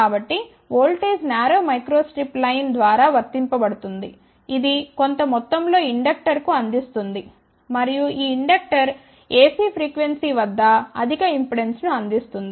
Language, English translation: Telugu, So, let us say here the voltage is applied through a narrow micro strip line which will provide some amount of inductor and this inductor will provide higher impudent at ac frequency